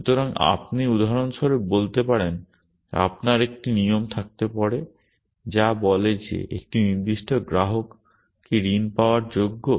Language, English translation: Bengali, So, you might say for example, you might have a rule which says is a particular customer worthy of being given a loan